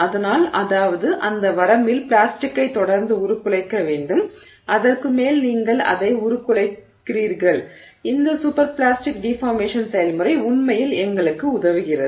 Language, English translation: Tamil, So, that means it has to continue to plasticly deform in that range over which you are deforming it and that is where this super plastic no deformation process really helps us